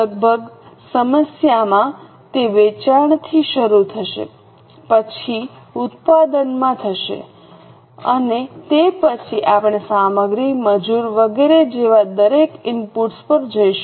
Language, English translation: Gujarati, In almost every problem it will start from sales then go to production and then we will go to each of the inputs like material, labour and so on